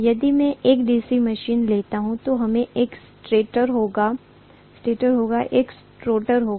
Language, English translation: Hindi, If I take a DC machine, as I told you, there will always be a stator and there will be a rotor